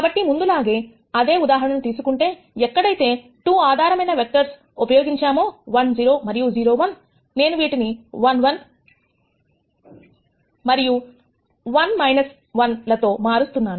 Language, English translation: Telugu, So, the same example as before, where we had used 2 basis vectors 1 0 and 0 1, I am going to replace them by 1 1 and 1 minus 1